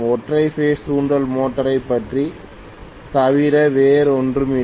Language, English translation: Tamil, They are all single phase induction motor